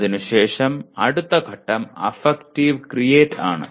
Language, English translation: Malayalam, After that the next stage is affective create